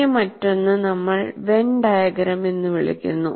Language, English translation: Malayalam, This is what we call Venn diagram